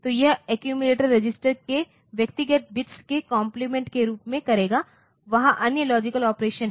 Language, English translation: Hindi, So, it will be in complementing the bits of individual of the accumulator register other logic operations there